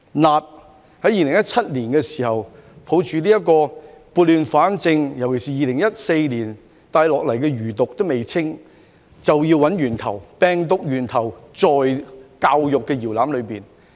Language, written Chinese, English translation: Cantonese, 辣，在2017年的時候，抱着撥亂反正的精神，尤其是2014年遺留下來的餘毒尚未清，就要找源頭，原來病毒源頭在教育的搖籃裏。, Spiciness . In 2017 upholding the spirit of setting things right and particularly considering that the toxicity left behind in 2014 had not yet been cleared I had to trace the source . It turned out that the source of the virus lay in the cradle of education